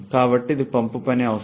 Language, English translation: Telugu, So, this is the pump work requirement